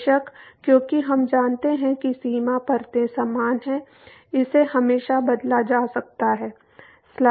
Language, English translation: Hindi, Of course, from because we know that the boundary layers are similar one could always replace